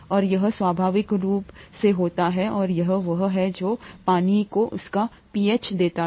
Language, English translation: Hindi, And this happens naturally, and this is what gives water its pH